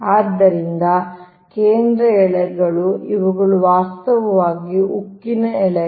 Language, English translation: Kannada, so the central strands, these are actually steel